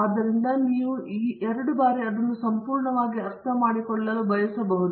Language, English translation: Kannada, So, you may want to read this couple of times to understand it fully